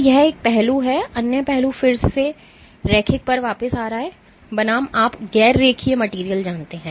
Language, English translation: Hindi, So, this is one aspect, other aspect again coming back to the linear versus you know non linear materials